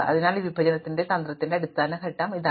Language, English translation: Malayalam, So, this is the basic step in this partitioning strategy